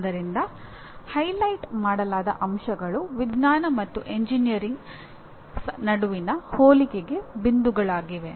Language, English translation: Kannada, So the highlighted points are the points for comparison between science and engineering